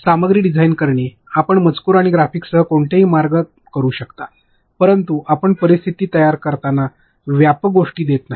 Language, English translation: Marathi, Designing stuff you can do any ways with the text and graphics all that you can do, but when you create scenarios do not give generic things